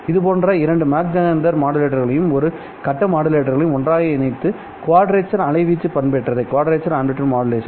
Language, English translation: Tamil, You can put together two such Magsenter modulators and one phase modulator in order to perform what is called as quadrature amplitude modulation